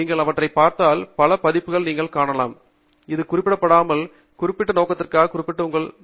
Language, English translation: Tamil, If you look for it, you will find several versions of these, which may be targeted and you know specified for a particular purpose